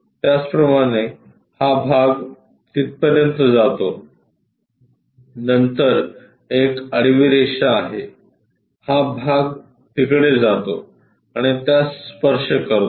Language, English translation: Marathi, Similarly, this part goes all the way there, then there is a horizontal line; this part goes all the way there, and touch that